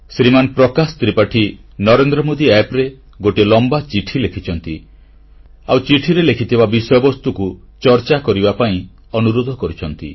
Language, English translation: Odia, My dear countrymen, Shriman Prakash Tripathi has written a rather long letter on the Narendra Modi App, urging me to touch upon the subjects he has referred to